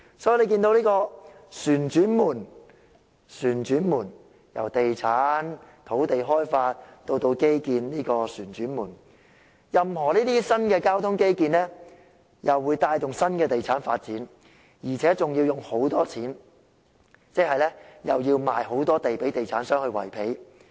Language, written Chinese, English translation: Cantonese, 所以，大家看到這個"旋轉門"——在地產、土地開發至基建之間旋轉——任何新的交通基建，又會帶動新的地產發展，而且還要花很多錢，即又要賣大量土地予地產商維持開支。, Hence we can all see this revolving door revolving around properties land development and infrastructure―any new transport infrastructure will drive new property development which will cost a fortune meaning land will be sold on a large scale to real estate developers to foot the bill